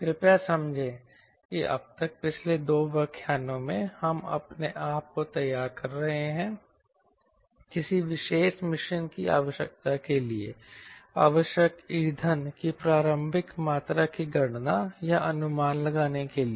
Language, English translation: Hindi, please understand that so far, last two lectures, we are preparing our self to calculate or to estimate the initial amount of fuel required for a particular machine requirement